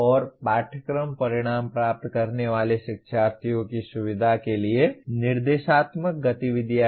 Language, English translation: Hindi, And instructional activities to facilitate the learners attaining the course outcome